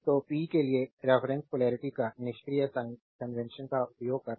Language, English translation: Hindi, So, so reference polarities for power using the passive sign convention